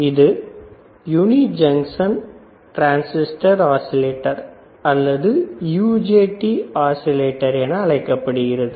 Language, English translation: Tamil, They are called uni junction transistor oscillators or they are also called UJT oscillators, all right